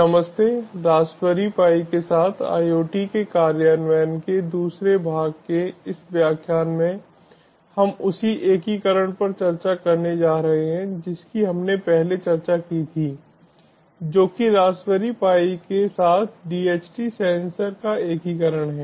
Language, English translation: Hindi, in this lecture of the second part of implementation of iot with raspberry pi, we are going to discuss the same integration we discussed previously, that is, integration of a dht sensor with raspberry pi